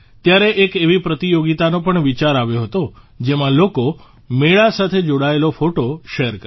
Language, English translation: Gujarati, Then the idea of a competition also came to mind in which people would share photos related to fairs